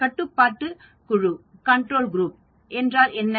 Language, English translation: Tamil, So what is the control group